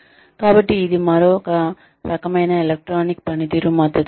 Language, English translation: Telugu, So, that is the another type of, electronic performance support system